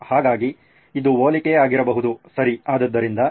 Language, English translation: Kannada, So this could be a comparison, okay so this